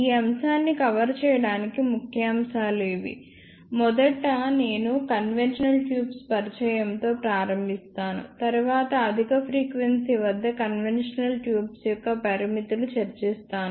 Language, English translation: Telugu, The outline to cover this topic is, first I will start with introduction to conventional tubes followed by high frequency limitations of conventional tubes